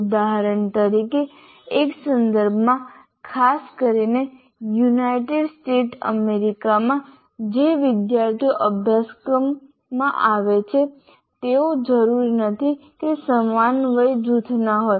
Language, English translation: Gujarati, For example, in a context, especially in United States of America, the students who come to a course do not necessarily belong to the same age group